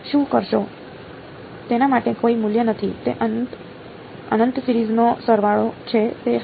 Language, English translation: Gujarati, For no value for it is a the sum of the infinite series is that yeah